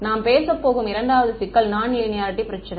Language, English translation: Tamil, The second problem that we are going to talk about is a problem of non linearity